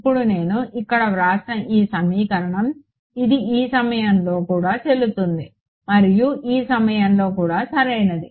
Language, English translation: Telugu, Now, this equation that I have written over here, it should be valid at this point also and at this point also right